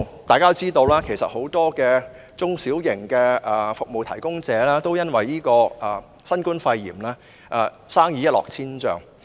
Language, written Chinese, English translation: Cantonese, 大家都知道，很多中小型服務提供者都因新冠肺炎而生意一落千丈。, As we all know many small and medium - sized service providers have suffered a plunge in business as a result of the novel coronavirus pneumonia